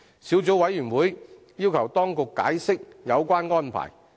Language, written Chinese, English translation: Cantonese, 小組委員會要求當局解釋有關安排。, The Subcommittee has requested the Administration to explain the relevant arrangement